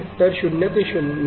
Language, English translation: Marathi, So, 0 to 9